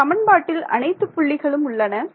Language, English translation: Tamil, What equation do we want to use